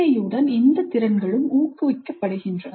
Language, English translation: Tamil, These are also the skills which get promoted with PBI